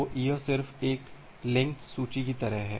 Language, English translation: Hindi, So, it just like a linked list